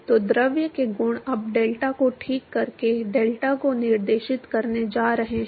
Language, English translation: Hindi, So, properties of the fluid is now going to dictate the delta by deltat fine